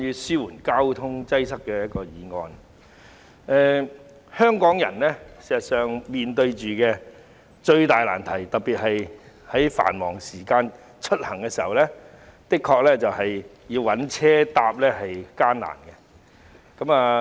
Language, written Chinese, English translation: Cantonese, 事實上，香港人面對最大的難題，特別是繁忙時間出行，就是乘坐交通工具的確很艱難。, In fact the biggest problem faced by Hong Kong people especially during peak hours is that it is really difficult to commute by various means of transport